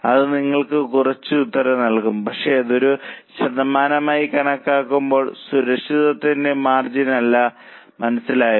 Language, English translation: Malayalam, That will also give you some answer but that's not a margin of safety as a percentage